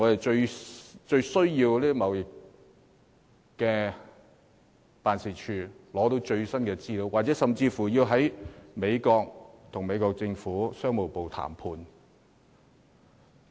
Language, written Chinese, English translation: Cantonese, 這些均有賴經貿辦為我們取得最新資料，甚至在美國跟美國政府的商務部進行談判。, We really need ETOs to help us obtain the latest information and even hold negotiations with the United States Department of Commerce in the United States